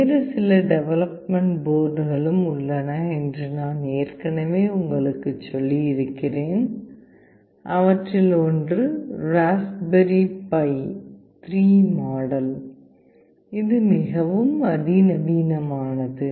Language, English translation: Tamil, As I have already told you there are some other development boards as well, one of which is Raspberry Pi 3 model that is much more sophisticated